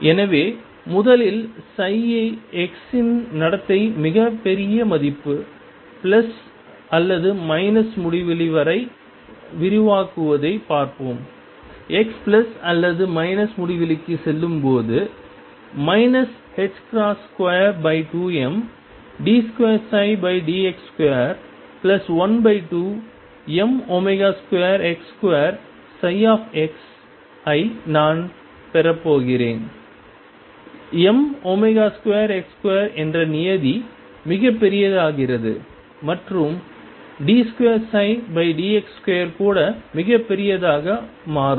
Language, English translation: Tamil, So, first let us look at the behavior of psi x for extending to very large value plus or minus infinity in that case, I am going to have minus h cross square over 2 m d 2 psi over d x square plus 1 half m omega square x square psi x as x goes to plus or minus infinity the term m omega square x square becomes very very large and d 2 psi by d x square can also become very large